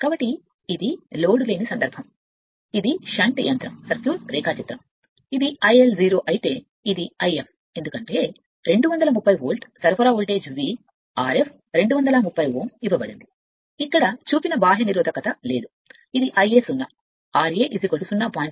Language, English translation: Telugu, So, this is the no load conditions this is shunt motor circuit diagram, this is I L 0, this is your what you call I f, because 230 volt being a voltage supply voltage is V, R f is given to 230 ohm no external resistance shown here, I a 0 your what you call your this is the I a 0, r a is given 0